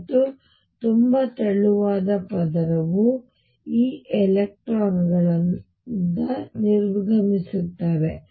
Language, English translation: Kannada, And very thin layer out here those electrons getting exited